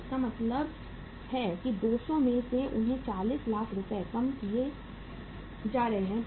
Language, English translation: Hindi, So it means out of 200 they are being reduced by 40 lakh rupees